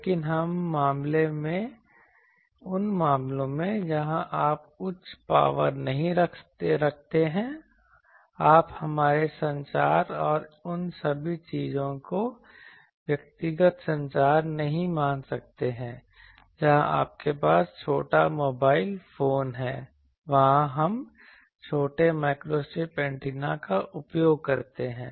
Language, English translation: Hindi, But, those cases where you are not having high power you are not having sizable power suppose our communication and all those things the personal communication all those, there you have small mobile phone smaller there we use microstrip antenna